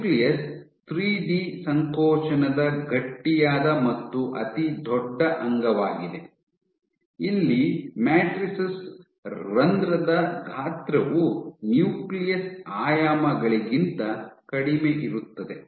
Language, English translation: Kannada, So, the nucleus being the stiffest and the largest organelle for 3D contractile this is where matrices where pore size is lesser than nuclear dimensions